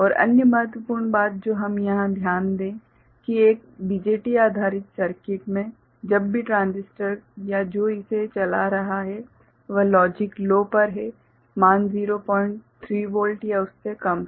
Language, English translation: Hindi, And other important thing that we note here that in a BJT based circuit, whenever the transistor or the one that is driving it is at logic low ok the value is 0